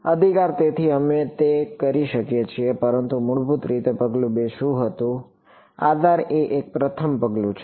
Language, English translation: Gujarati, Right; so, we could do that, but basically step 2 was what, basis is one first step